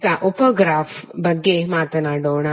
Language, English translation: Kannada, Now let us talk about the sub graph